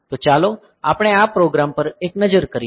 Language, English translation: Gujarati, So, let us have a look at the program